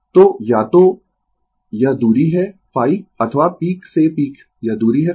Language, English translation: Hindi, So, either this distance is phi or peak to peak this distance is phi